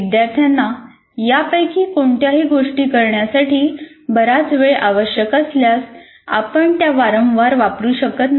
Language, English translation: Marathi, If students require a lot of time to do any of these things, obviously you cannot frequently use